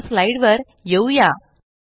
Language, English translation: Marathi, Come back to the slides